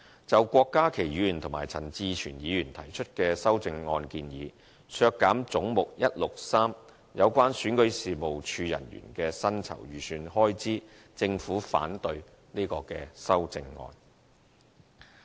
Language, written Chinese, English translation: Cantonese, 就郭家麒議員及陳志全議員提出的修正案建議，削減總目163有關選舉事務處人員的薪酬預算開支，政府反對這項修正案。, The Government is opposed to the amendments proposed by Dr KWOK Ka - ki and Mr CHAN Chi - chuen which seek to reduce the estimated expenditure on personal emoluments for Head 163―Registration and Electoral Office REO